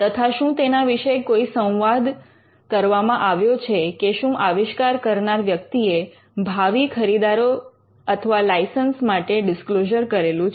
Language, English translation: Gujarati, And whether there are any dialogue or whether the inventor had made any disclosure to prospective buyers and licenses